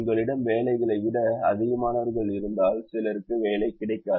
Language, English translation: Tamil, if you have more people than jobs, then some people will not get jobs